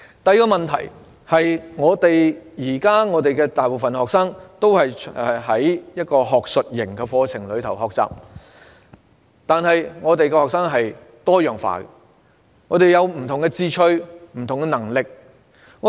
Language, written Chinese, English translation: Cantonese, 第二個問題是，現時大部分學生都是在學術型的課程中學習，但學生是多樣化的，各有不同的志趣和能力。, The second problem is that while the majority of students are currently studying an academic curriculum they have different interests and abilities